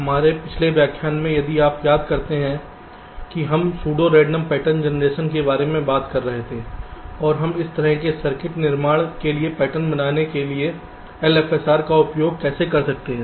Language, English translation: Hindi, so in our last lecture, if you recall, we were talking about pseudo random pattern generation and how we can use l f s r to generate the patterns for building such type of a circuits